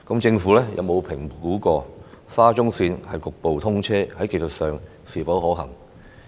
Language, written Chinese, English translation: Cantonese, 政府有否評估沙中線局部通車在技術上是否可行？, Has the Government assessed the technical feasibility of partial commissioning of SCL?